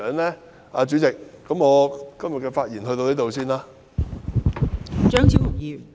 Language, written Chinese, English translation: Cantonese, 代理主席，我今天的發言先到此為止。, Deputy Chairman my speech today will end here